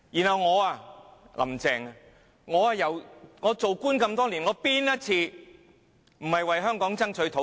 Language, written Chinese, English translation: Cantonese, 她之後反問為官多年，有哪一次沒有為香港爭取土地？, She will even retort that she has always been seeking to find lands for Hong Kong during her longs years of public service